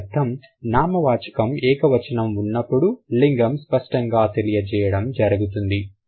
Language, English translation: Telugu, So, that means when the noun is singular, the gender is marked overtly